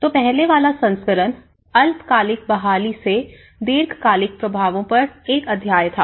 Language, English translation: Hindi, So, the earlier version with that was a chapter on long term impacts from the short term recovery